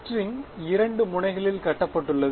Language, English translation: Tamil, string tied at two ends